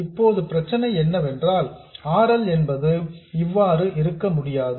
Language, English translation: Tamil, Now the problem is we cannot have RL like this